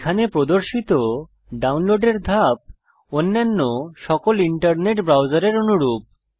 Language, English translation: Bengali, The download steps shown here are similar in all other internet browsers